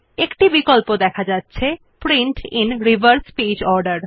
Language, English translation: Bengali, We see a check box namely Print in reverse page order